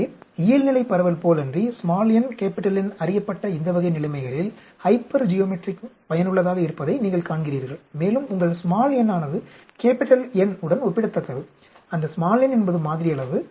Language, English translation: Tamil, So, you see that the hypergeometric is useful in this type of situations where the n, N is known, unlike the normal distribution, and your n is comparable to N; that n is the sample size